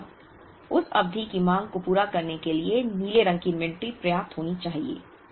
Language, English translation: Hindi, Similarly, that inventory of blue should be enough to meet the demand of that period